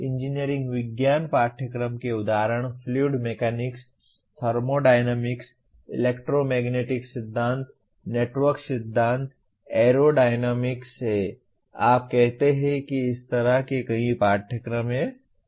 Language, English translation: Hindi, Engineering science courses examples Are Fluid Mechanics, Thermodynamics, Electromagnetic Theory, Network Theory, Aerodynamics; you call it there are several such courses